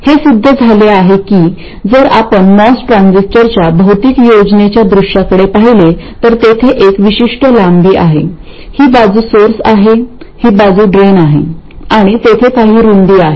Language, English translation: Marathi, It turns out that if you look at the physical plan view of the most transistor, there is a certain length, this side is the source, this side is the drain and there is a certain width